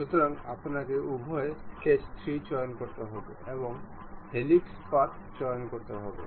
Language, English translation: Bengali, So, you have to pick both sketch 3, and also helix paths